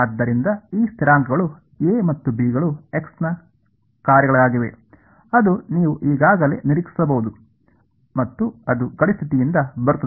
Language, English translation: Kannada, So, these constants A and B will be functions of x prime that you can sort of anticipate now itself right and that will come from boundary condition